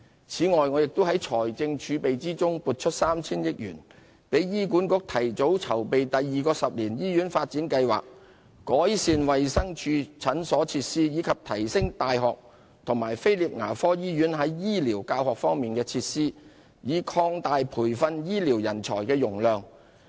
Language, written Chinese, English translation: Cantonese, 此外，我亦在財政儲備中撥出 3,000 億元，給予醫管局提早籌備第二個十年醫院發展計劃，改善衞生署診所設施，以及提升大學和菲臘牙科醫院在醫療教學方面的設施，以擴大培訓醫療人才的容量。, Moreover I have set aside 300 billion from the fiscal reserves for HA to advance the planning of the second 10 - year hospital development plan for the Department of Health to improve its clinic facilities and for the universities concerned and the Prince Philip Dental Hospital to upgrade health care teaching facilities so as to expand their capacity for health care manpower training